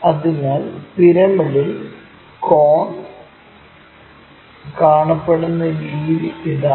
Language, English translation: Malayalam, So, this is the way cone really looks like in the pyramid